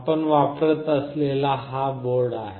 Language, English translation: Marathi, This is the board that we will be using